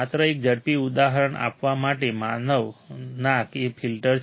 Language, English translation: Gujarati, Just to give an quick example nose is the filter